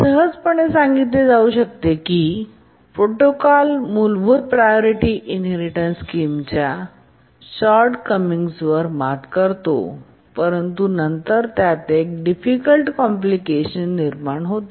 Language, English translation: Marathi, We can easily see that this protocol overcomes the shortcomings of the basic priority inheritance scheme, but then it introduces a very difficult complication